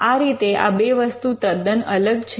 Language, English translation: Gujarati, So, these 2 things are completely different